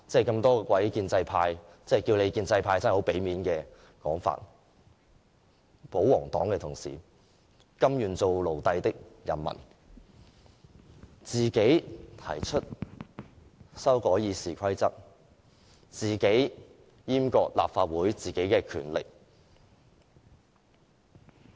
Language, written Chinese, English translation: Cantonese, 諸位建制派——稱他們建制派真是相當給他們面子——保皇黨的同事，甘願當奴隸的人們，自行提出修改《議事規則》、自行閹割立法會的權力。, Members of the pro - establishment camp―it is extremely polite to call them the pro - establishment camp―pro - Government Members willingly become slaves by castrating the powers of the Legislative Council voluntarily by proposing amendments to RoP